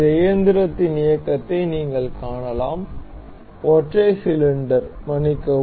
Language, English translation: Tamil, You can see the motion of this engine, and and single single cylinder sorry